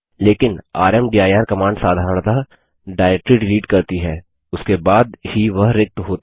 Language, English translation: Hindi, But rmdir command normally deletes a directory only then it is empty